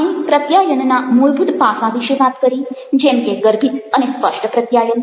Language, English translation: Gujarati, we talked about the fundamental aspects of communication, like over, implicit and explicit communication